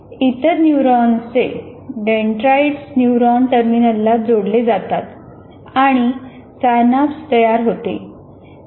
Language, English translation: Marathi, And this is the dendrites of other neurons get connected to the neuron terminal and synapses really form here